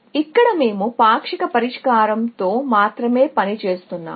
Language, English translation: Telugu, Here, we are working only with partial solution